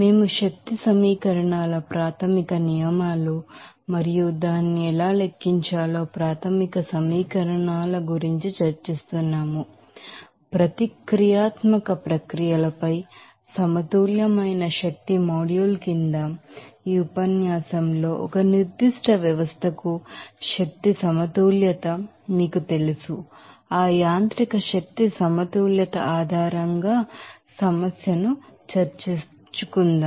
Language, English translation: Telugu, So, we are discussing about basic laws of energy equations and basic equations how to calculate that, you know energy balance for a particular system in this lecture under the module of energy balanced on a nonreactive processes will discuss the problem based on that mechanical energy balances